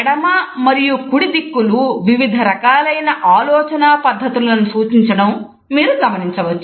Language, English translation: Telugu, You would find that the left and right directions are indicative of different types of thinking procedures